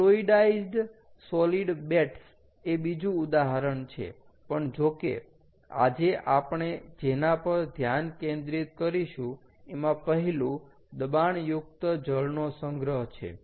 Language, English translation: Gujarati, fluidized solid beds is another example, but, however, today what we will focus on is the first one, which is pressurized water storage